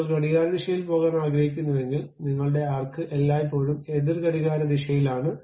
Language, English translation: Malayalam, Though you would like to go in the clockwise, but your arc always be taking in the counterclockwise direction